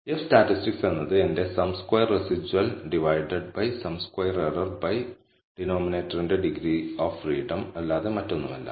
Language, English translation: Malayalam, So, F statistic is nothing but my sum squared residual divided by the sum square error by the degrees of freedom for the denominator